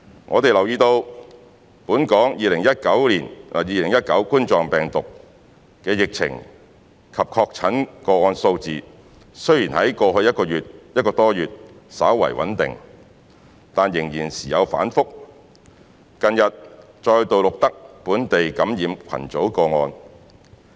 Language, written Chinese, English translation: Cantonese, 我們留意到本港2019冠狀病毒病的疫情及確診個案數字雖然在過去1個多月稍為穩定，但仍然時有反覆，近日再度錄得本地感染群組個案。, We note that although the situation of the Coronavirus Disease 2019 COVID - 19 outbreak in Hong Kong and the number of confirmed cases have slightly stabilized in the past month or so the situation still remains volatile with local cluster cases reported again recently